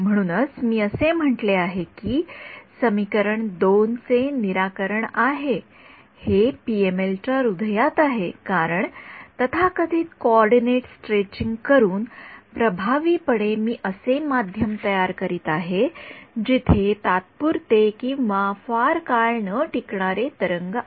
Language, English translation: Marathi, So, this is why I said that this a solution to equation 2, this is at the heart of PML because, by doing a so called coordinate stretching, effectively I am generating a medium where the waves are evanescent ok